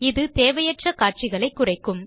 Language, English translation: Tamil, This will reduce the capture of unnecessary footage